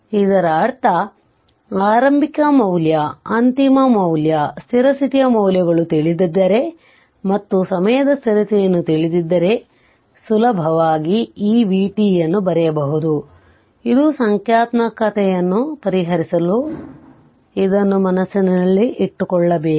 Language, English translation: Kannada, That means if you know, if you know the initial initial value, if you know the final value, the steady state values, and if you know the time constant, easily you can compute v t right, this you have to keep it in your mind for solving numerical